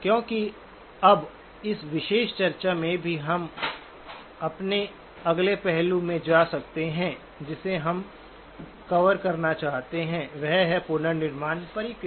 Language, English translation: Hindi, Because now even from this particular discussion, we can move into the next aspect of our, what we wanted to cover is the reconstruction process